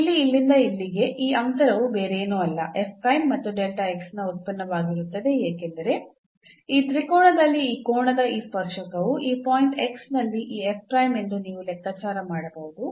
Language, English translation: Kannada, So, here this distance from here to here will be nothing, but the f prime into this delta x because in this triangle you can figure out that this tangent of this angle here is this f prime at this point x